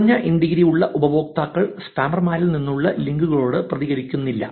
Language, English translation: Malayalam, Users with low integrity do not reciprocate to links from spammers